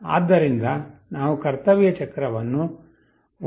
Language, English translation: Kannada, So, we set the duty cycle to 1